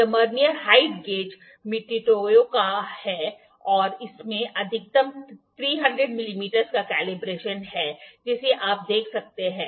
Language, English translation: Hindi, This Vernier height gauge is of make Mitutoyo and it has maximum calibration of 300 mm you can see